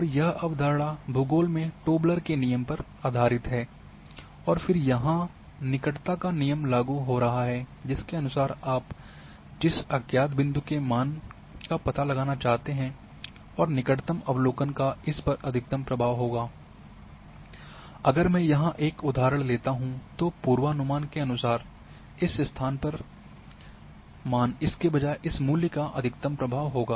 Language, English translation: Hindi, And this this concept is based on Tobler’s Law of Geography which says that again the neighbourhood rule is coming here that the unknown point for which you want have the value whichever the closest observation will have the maximum influence on this one, if I take example here then the prediction for the say this value at this location will have maximum influence from this value rather than from this one